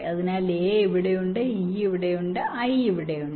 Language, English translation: Malayalam, so a is here, e is here, i is here